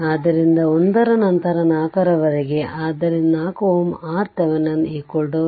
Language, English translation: Kannada, Therefore, 1 upon 1 by 4, so 4 ohm R Thevenin is equal to 4 ohm